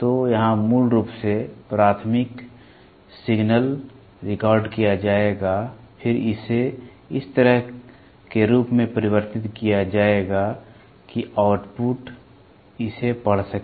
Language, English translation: Hindi, So, here basically the primary signal will be recorded, then, this will be converted into such a form such that the output can read it